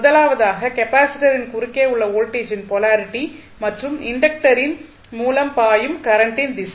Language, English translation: Tamil, First is that polarity of voltage vt across capacitor and direction of current through the inductor we have to always keep in mind